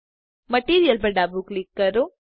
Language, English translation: Gujarati, Left click Material